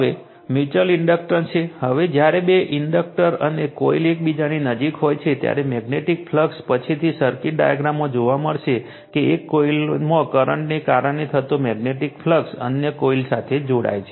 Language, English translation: Gujarati, Now, mutual inductance, now, when two inductors or coils right are in a close proximity to each other, the magnetic flux will see later in the circuit diagram, the magnetic flux caused by current in one coil links with other coil right, thereby inducing voltage in the latter right